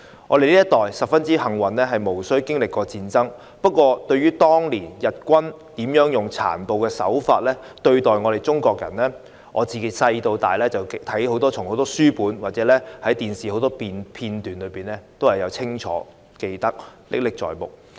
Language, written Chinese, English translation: Cantonese, 我們這一代相當幸運，無須經歷戰爭，但對於日軍當年如何以殘暴手法對待中國人，我從小到大從書本或電視片段中都清楚看到，歷史事件歷歷在目。, Our generation is very fortunate as we do not need to experience war . However when I grew up I learnt from the books or television episodes how the Japanese army brutally treated Chinese people at that time and these historical events are still vivid in my mind